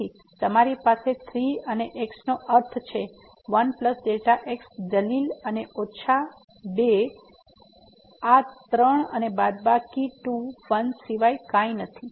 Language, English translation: Gujarati, So, you have the 3 and the argument and minus 2 and this is nothing but 3 and minus 2 1